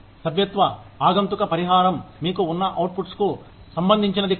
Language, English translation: Telugu, Membership contingent compensation is not related, to the output, that you have